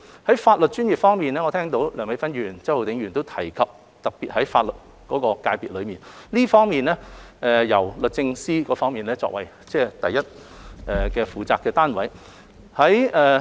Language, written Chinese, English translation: Cantonese, 在法律專業方面，我聽到梁美芬議員、周浩鼎議員都提及法律界別，律政司是這方面的第一負責單位。, Regarding the legal profession I have heard Dr Priscilla LEUNG and Mr Holden CHOW mention the legal sector which the Department of Justice DoJ is immediately responsible for